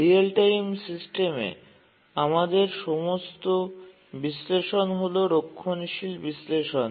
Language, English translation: Bengali, But then in the real time systems, all our analysis are conservative analysis